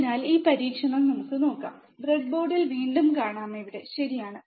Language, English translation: Malayalam, So, let us see this experiment so, again we can see on the breadboard which is right over here, right